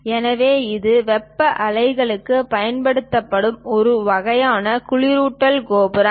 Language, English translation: Tamil, So, this is one kind of cooling tower utilized for thermal plants